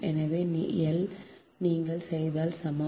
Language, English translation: Tamil, so l is equal to